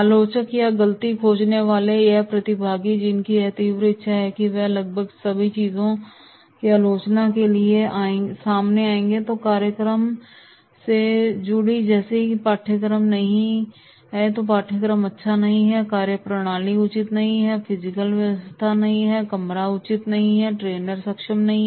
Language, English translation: Hindi, Critics or fault finder, these participants who have the compulsive urge immediately they will come to criticise almost everything connected with the program such as content, no this content is not good, methodology is not proper, physical arrangement, room is not proper, trainer and so on, trainer is not competent